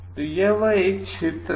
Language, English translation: Hindi, So, this is one area